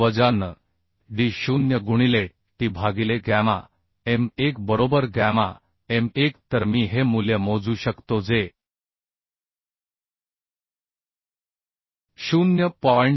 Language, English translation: Marathi, 9fu into d0 into t by gamma m1 right gamma m1 So I can calculate this value that will be 0